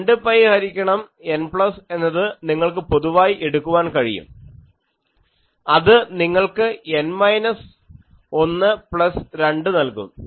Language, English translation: Malayalam, You can take 2 pi by N plus common that gives you N minus 1 plus 2